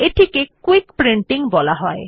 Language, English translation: Bengali, This is known as Quick Printing